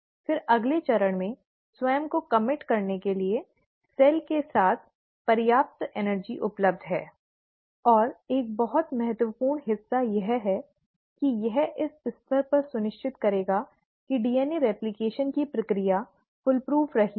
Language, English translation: Hindi, Again, there is sufficient energy available with the cell to commit itself to the next step, and a very important part is that it will make sure at this stage that the process of DNA replication has been foolproof